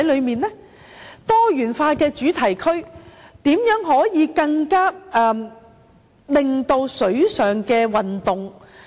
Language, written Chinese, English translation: Cantonese, 在多元化的主題區方面，如何可以進行適合的水上運動？, With regard to a diversified theme zone how can arrangements be made to cater for suitable water sports?